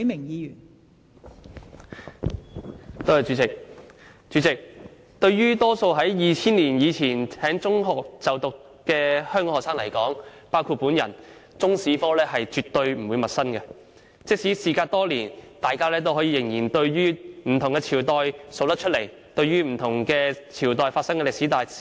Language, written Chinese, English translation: Cantonese, 代理主席，對於大多數於2000年以前在中學就讀的香港學生來說，中國歷史科絕不陌生，即使事隔多年，大家仍可說出不同朝代發生的歷史大事。, Deputy President the subject of Chinese History is by no means unfamiliar to most people who went to secondary school in Hong Kong before 2000 including me . Although many years have elapsed we can still rattle off major historical events that took place in different dynasties